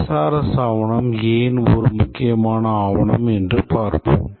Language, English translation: Tamil, Let's see why SRS document is an important document